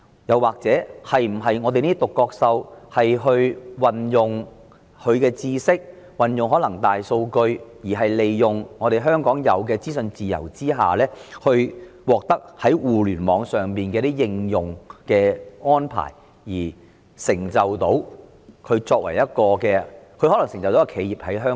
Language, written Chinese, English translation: Cantonese, 又或這些"獨角獸"能否運用其知識或大數據，利用香港享有的資訊自由，借助互聯網的應用而成就一間本地企業？, Or can such unicorns apply their knowledge or big data while leveraging the freedom of information in Hong Kong and capitalizing on the application of the Internet to achieve the establishment and success of a local enterprise?